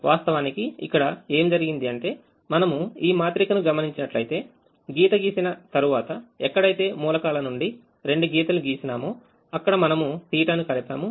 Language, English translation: Telugu, what actually happens is we look at this matrix and, after drawing the lines, wherever an element has two lines passing through, we add the theta